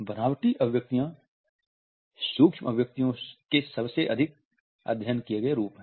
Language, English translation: Hindi, Simulated expressions are most commonly studied forms of micro expressions